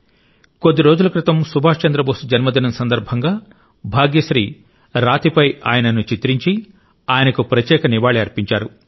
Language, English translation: Telugu, A few days ago, on the birth anniversary of Subhash Babu, Bhagyashree paid him a unique tribute done on stone